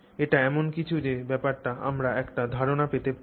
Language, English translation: Bengali, So, that is something we want to get a sense of